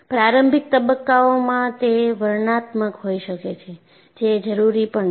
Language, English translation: Gujarati, In the initial phases it may appear to be descriptive, which is also needed